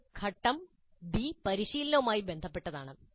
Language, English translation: Malayalam, Then the phase B is concerned with practice